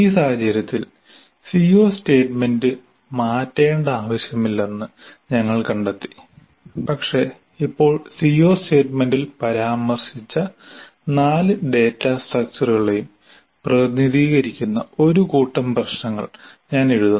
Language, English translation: Malayalam, Here in this case we find that there is no need to change the C O statement but now I write a set of problems that represent all the three data structures that were mentioned in the C O statement